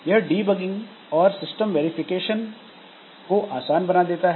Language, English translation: Hindi, And simplifies debugging and system verification